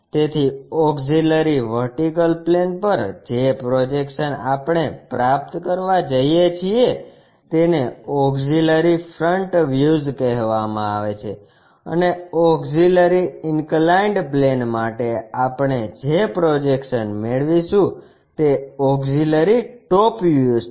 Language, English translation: Gujarati, So, a auxiliary vertical plane, the projections what we are going to achieve are called auxiliary front views and for a auxiliary inclined plane the projections what we are going to get is auxiliary top views